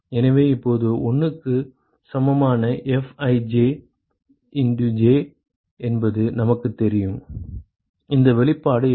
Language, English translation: Tamil, So now, we know that sum Fij J equal to 1 is, what is this expression